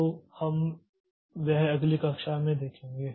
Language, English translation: Hindi, So, we'll see that in the next class